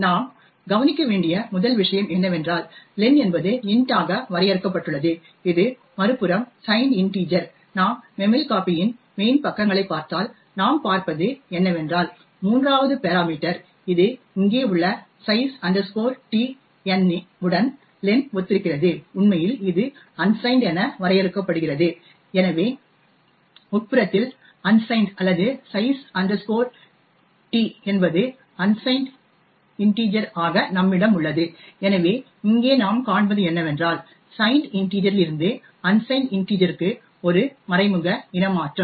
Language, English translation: Tamil, The 1st thing you would note is that len is defined as int, right it is a signed integer on the other hand if you look at the man pages of memcpy what we see is that the 3rd parameter that this over here size t n which corresponds to the len over here is actually defined as unsigned, so we have internally a unsigned or size t to be an unsigned integer, so what we see over here is that that an implicit type casting from a signed integer to an unsigned integer